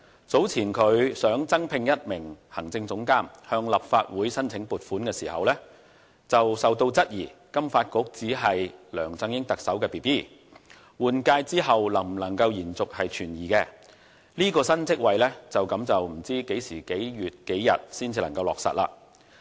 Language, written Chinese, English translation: Cantonese, 早前，金發局想增聘一名行政總監向立法會申請撥款時，遭到質疑金發局只是特首梁振英的 Baby， 對換屆後能否延續存疑，故這個新職位就此不知何年何月何日才能落實。, Some time ago FSDC wanted to recruit an executive director and put forward a funding request to the Legislative Council . But some said that FSDC was just the baby of LEUNG Chun - ying and queried whether FSDC could continue to exist after the government changeover . As a result I just do not know when this new post can be created